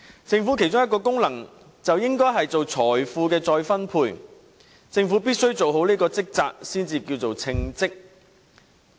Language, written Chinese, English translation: Cantonese, 政府其中一個功能應是進行財富再分配，政府必須做好這職責方能稱為稱職。, One of the functions of the Government is to redistribute wealth . A government must perform this function properly to be considered competent